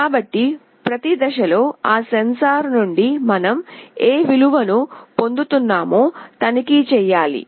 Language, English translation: Telugu, So, at every point in time, we need to check what value we are receiving from that sensor